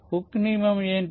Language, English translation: Telugu, so what is hookes law